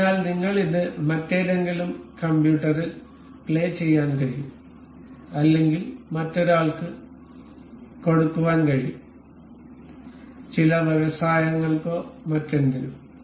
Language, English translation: Malayalam, So, that we can play it on any other computer or we can lend it to someone, so some industry or anything